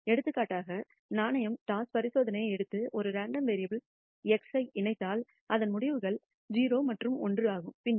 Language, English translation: Tamil, For ex ample, if we take the coin toss experiment and associate a random variable x whose outcomes are 0 and 1, then we associate a probability for x is equal to 0